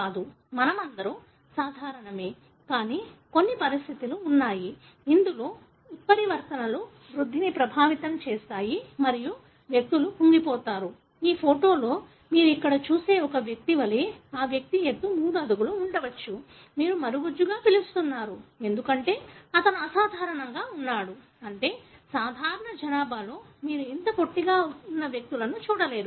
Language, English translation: Telugu, But there are conditions, wherein mutations affect the growth and individuals are stunted, like the one person you see here in this photograph, may be 3 feet as the height of that individual; that you call as a dwarfism, because he is abnormal, meaning in the normal population you don’t see individuals that are this short